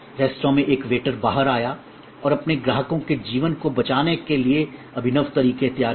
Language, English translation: Hindi, A waiter in the restaurant came out and devised innovative ways to save the lives of their customers